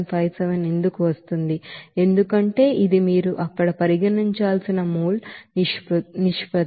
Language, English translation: Telugu, 0754 it is coming because this is the mole ratio that you have to consider there